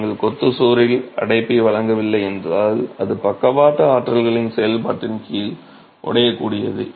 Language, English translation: Tamil, If you don't provide confinement to the masonry wall it is brittle under the action of lateral forces